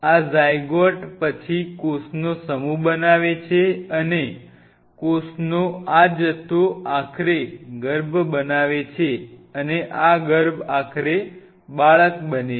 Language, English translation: Gujarati, this zygote then form a mass of cell and this mass of cell eventually form an embryo and this embryo eventually becomes a baby